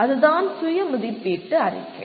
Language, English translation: Tamil, That is what the Self Assessment Report